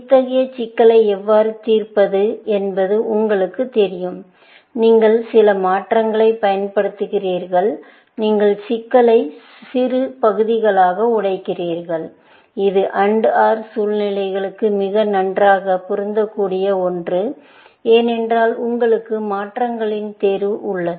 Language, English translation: Tamil, You know how to solve such problems is that basically, you apply some transformations and may be, you break up the problem into smaller parts, something that would fit very nicely into the AND OR situations, because you have a choice of transformations to make